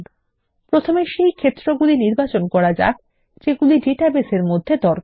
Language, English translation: Bengali, First, lets select the items which we require in the database